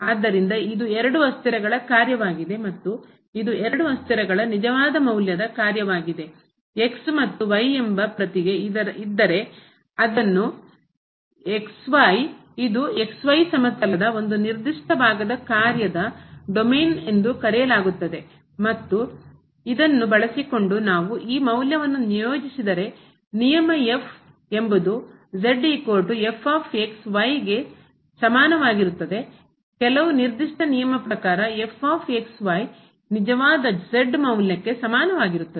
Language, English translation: Kannada, So, its a function of two variables and this is a real valued function of two variables and if to each of a certain part of x y plane which is called the domain of the function and if we assign this value using this rule is equal to is equal to to a real value according to some given rule ; then, we call this function as a Function of Two Variables